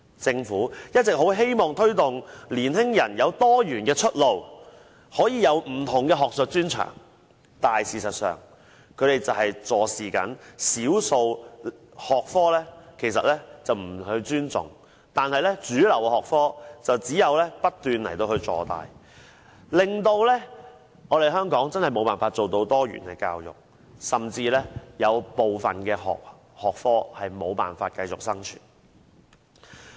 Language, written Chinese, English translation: Cantonese, 政府一直希望推動年青人有多元出路，有不同的學術專長，但事實上，對少數學科卻坐視不理，不予尊重，讓主流學科不斷坐大，令香港無法做到多元教育，甚至部分學科無法繼續生存。, The Government has been promoting the idea of multiple pathways for and different specialties among young people . But in reality it does not attach importance to or respect minor school subjects . As a result major subjects become increasingly dominant thus making it impossible for Hong Kong to achieve diversified education and for some subjects to continue to survive